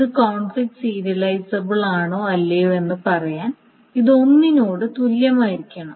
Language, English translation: Malayalam, That means to say that whether this is conflict serializable or not, it must be equivalent to either